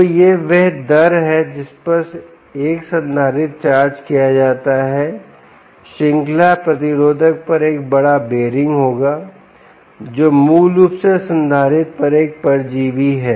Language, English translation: Hindi, so the this is the rate at which a capacitor is charged is charging will have a huge bearing on the series resistor, which is basically a parasite on the capacitor